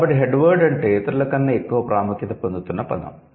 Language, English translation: Telugu, So, headword means the part of the word which is gaining something like more importance than the others